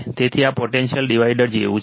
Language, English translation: Gujarati, So, this is like a potential divider